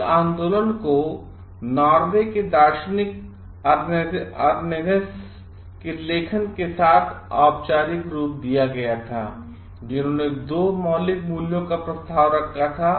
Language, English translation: Hindi, This movement was formalized with the writings of Norwegian philosopher Arne Naess who proposed 2 fundamental values